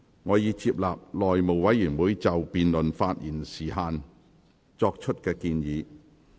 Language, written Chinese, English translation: Cantonese, 我已接納內務委員會就辯論發言時限作出的建議。, I have accepted the recommendations of the House Committee on the time limits for speeches in the debate